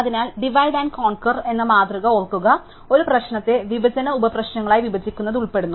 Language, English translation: Malayalam, So, recall the divide and conquer paradigm consists of breaking up a problem into disjoint subproblems